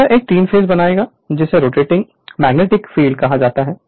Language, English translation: Hindi, So, it will create a 3 phase your what you call rotating magnetic field